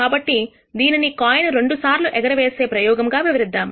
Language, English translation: Telugu, So, let us illustrate this by a two coin toss experiment